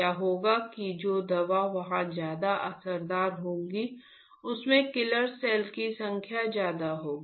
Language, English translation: Hindi, What will happen that the drug which is more effective there will be more number of killer cells